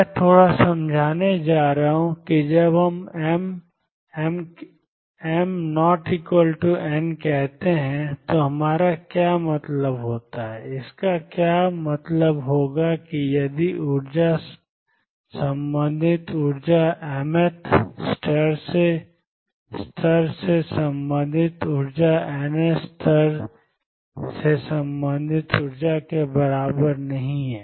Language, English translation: Hindi, I am going to explain in a bit what we mean when we say m is not equal to n, what it would amount 2 is that if the energy relate energy related to mth level is not equal to energy related to nth level